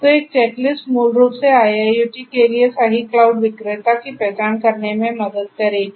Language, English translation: Hindi, So, a checklist will help in basically trying to identify the right cloud vendor for IIoT